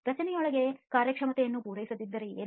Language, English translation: Kannada, What if performance is not met within the structure